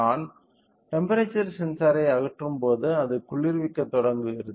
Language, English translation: Tamil, When I remove the temperature sensor so, it is starts cooling